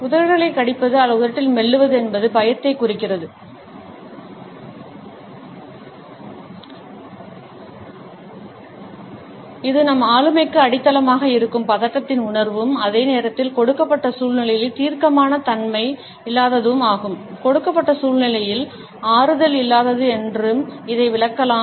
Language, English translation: Tamil, Biting lips or chewing on the lips, also indicates fear, a sense of anxiety which is underlying in our personality and at the same time is certain lack of decisiveness in the given situation